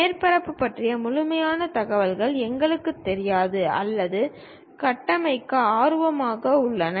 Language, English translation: Tamil, We do not know complete information about surface which we are intended or interested to construct